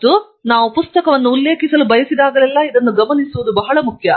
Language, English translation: Kannada, And, it is important to note it down whenever we want to refer a book